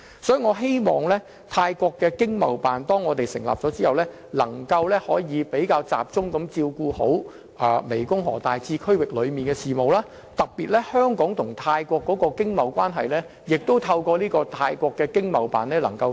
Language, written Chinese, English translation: Cantonese, 當香港成立泰國經貿辦後，希望能更集中處理大湄公河次區域的事務，特別是透過泰國經貿辦，進一步加強香港與泰國的經貿關係。, After the ETO in Thailand is in operation I hope that it will concentrate on dealing with the affairs of GMS . It is hoped that through the ETO in Thailand Hong Kong will further strengthen its financial and economic relations with Thailand